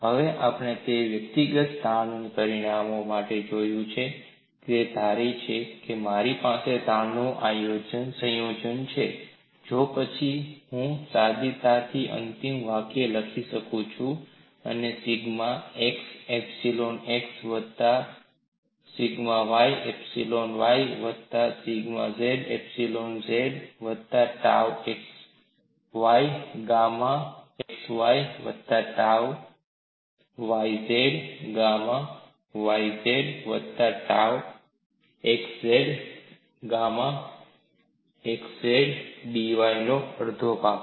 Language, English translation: Gujarati, Now, we have seen it for individual stress magnitudes, suppose I have combination of the stresses, then I can easily write the final expression as one half of sigma x epsilon x sigma y epsilon y sigma z epsilon z plus tau x y gamma x y plus tau y z gamma y z plus tau x z gamma x z d V